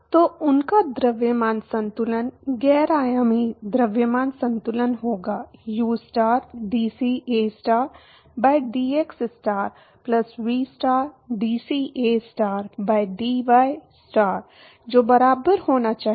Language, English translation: Hindi, So, their mass balance, non dimensional mass balance would be ustar dCAstar by dxstar plus vstar dCAstar by dystar that should be equal to